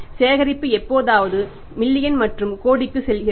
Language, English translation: Tamil, So, the collection sometime goes into the million and crore